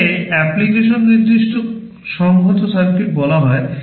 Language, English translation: Bengali, These are called application specific integrated circuit